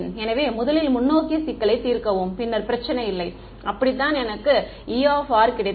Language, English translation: Tamil, So, first solving the forward problem no problem, that is how I got my E r right